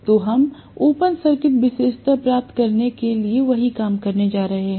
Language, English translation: Hindi, So, we are going to do the same thing for getting the open circuit characteristic